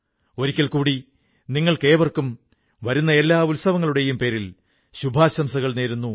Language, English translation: Malayalam, Once again, my best wishes to you all on the occasion of the festivals coming our way